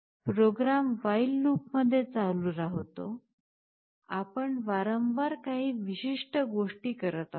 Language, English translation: Marathi, The program continues in a while loop, we are doing certain things one by one in a repetitive fashion